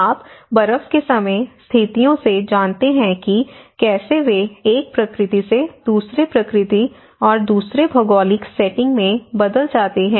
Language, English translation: Hindi, So, you know from the snow time, snow and ice conditions, how they transform from one nature to the another nature and the whole geographical setting